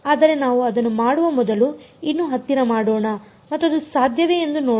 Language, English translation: Kannada, But before we do that let us zoom in and see is it possible